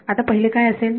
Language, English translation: Marathi, So, what will be the first